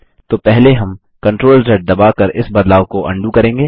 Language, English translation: Hindi, So first we will undo this change by pressing CTRL+Z